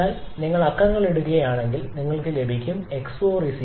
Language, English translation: Malayalam, So, if you put the numbers then you will be getting your x 4 to be equal to 0